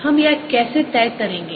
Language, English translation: Hindi, how do we decided that